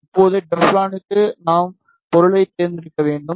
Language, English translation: Tamil, Now, for the Teflon we need to select the material